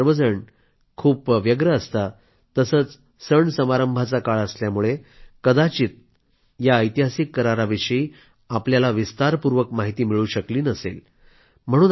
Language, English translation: Marathi, Due to the busy routine and festive season, you might not have been able to learn about this historic agreement in detail